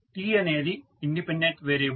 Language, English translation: Telugu, t is the independent variable